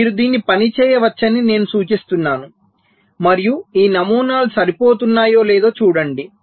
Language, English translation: Telugu, so so i suggest that you can work, work this out and see whether this patterns are matching